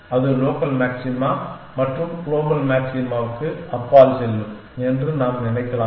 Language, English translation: Tamil, Can we think of that will go beyond the local maxima and to the global maxima